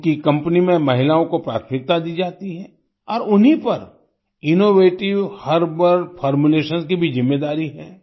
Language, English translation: Hindi, Priority is given to women in this company and they are also responsible for innovative herbal formulations